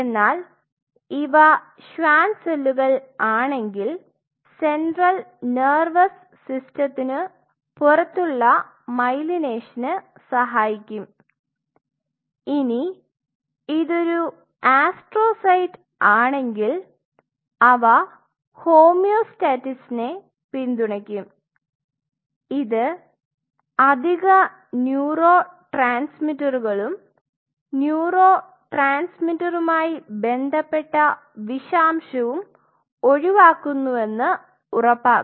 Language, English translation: Malayalam, If it is a Schwann cell it supports a myelination outside the central nervous system if it is astrocyte which is present there they will support the homeostasis it will ensure that excess neurotransmitters and neurotransmitter related toxicity are being avoided